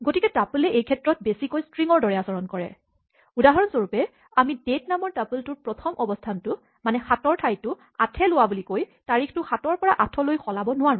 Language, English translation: Assamese, So, tuple behaves more like a string in this case, we cannot change for instance this date to 8 by saying date at position one should be replaced by the value 8